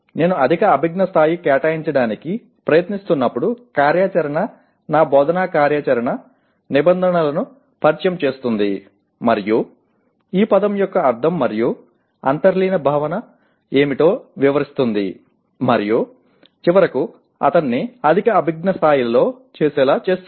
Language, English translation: Telugu, So when I am trying to, a higher cognitive level activity my instructional activity will introduce the terms and explain what the term means and what the underlying concept is and finally make him do at a higher cognitive level